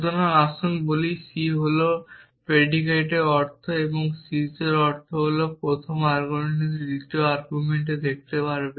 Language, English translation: Bengali, So, let us say c is stands for the predicate and the meaning of sees is that the first argument can see the second argument